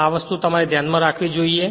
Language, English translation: Gujarati, This thing you should keep it in your mind right